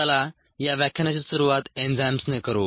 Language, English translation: Marathi, let us begin this lecture with enzymes